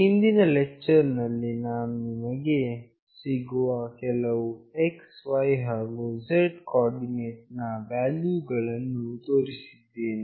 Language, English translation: Kannada, In the previous lecture, we have shown you that we are receiving some values corresponding to x, y, z coordinates